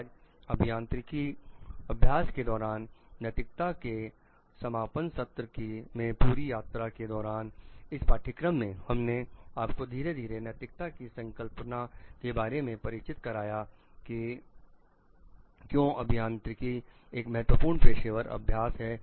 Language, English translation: Hindi, Today is a concluding session of ethics in engineering practice throughout the journey of this course we have introduced you slowly to the concept of ethics towards the concept of why engineering is an important professional practice